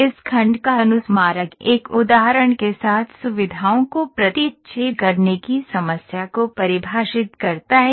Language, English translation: Hindi, The reminder of this section define, defines the problem of intersecting features with an example